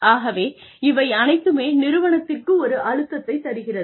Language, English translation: Tamil, So, everything is putting a pressure on the organization